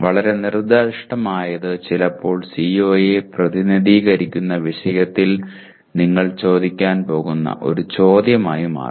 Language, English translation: Malayalam, Too specific sometimes will turn out to be a simply one question that you are going to ask in the topic representing the CO